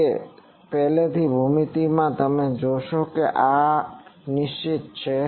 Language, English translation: Gujarati, So, in that previous geometry you see the R is fixed